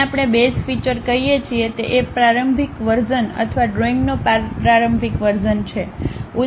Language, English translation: Gujarati, Anything what we call base feature is the preliminary version or the starting version of the drawing